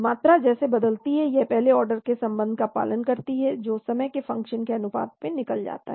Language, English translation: Hindi, The concentration as it changes it follows a first order relationship which gets eliminated as a function of time